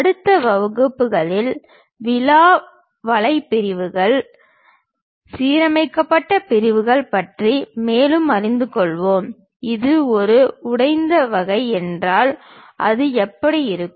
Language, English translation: Tamil, In the next classes we will learn more about rib web sections, aligned sections; if it is a broken out kind of section how it looks like